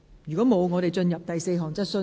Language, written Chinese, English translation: Cantonese, 如果沒有，現在進入第四項質詢。, If not we now proceed to the fourth question